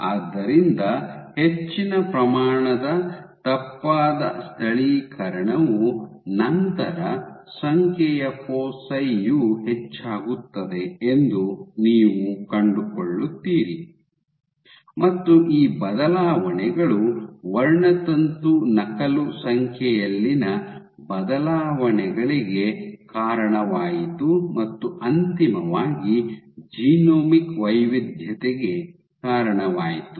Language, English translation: Kannada, So, more amount of mis localization then you would find that the number foci will increase, and these changes led to changes in chromosome copy number and eventually led to genomic heterogeneity